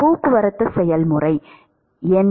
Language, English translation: Tamil, What are the transport processes